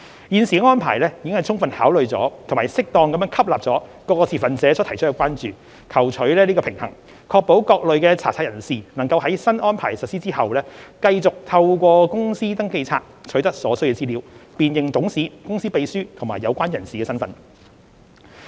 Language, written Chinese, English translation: Cantonese, 現時的安排已充分考慮及適當吸納各持份者所提出的關注，求取平衡，確保各類查冊人士能在新安排實施後，繼續透過公司登記冊取得所需資料，辨認董事、公司秘書及有關人士的身份。, The current arrangement is designed in a way to have fully considered and duly incorporated the concerns raised by various stakeholders striking a balance to ensure that different types of searchers can continue to access the necessary information in the Companies Register under the new regime to ascertain the identity of directors company secretaries and related persons